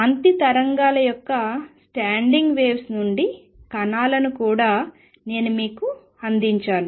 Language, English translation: Telugu, I also presented to you of particles from standing waves of light